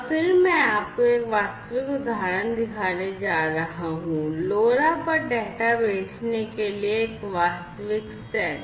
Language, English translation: Hindi, And then I am going to show you a real example, a real set up for sending data over LoRa so that I am going to show next